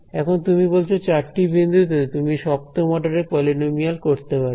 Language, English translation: Bengali, Now, you are saying with 4 points you can do a 7th order polynomial ok